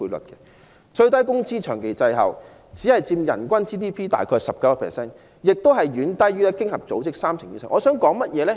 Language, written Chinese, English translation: Cantonese, 本港的最低工資也長期滯後，只佔人均 GDP 大約 19%， 亦遠低於經合組織的數字，即三成以上。, The minimum wage of Hong Kong is also lagging behind others which accounts for only 19 % of per capita GDP and this is also far lower than the OECD figure of 30 %